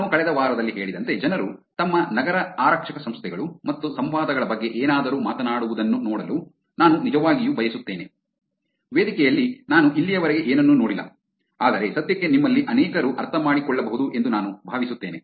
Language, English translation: Kannada, As I said in the last week also I would really like to see people talk about their city police organizations and interactions if any, on the forum, I have not seen anything much until now, but I think for now many of you may just understanding the content that is just the content itself